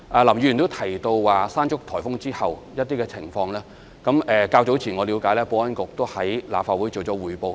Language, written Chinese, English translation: Cantonese, 林議員也提到颱風"山竹"後的情況，據我了解，保安局較早前已在立法會作出匯報。, Mr LAM also mentioned the situation after the onslaught of typhoon Mangkhut . As far as I understand it the Security Bureau already made a report to the Legislative Council some time ago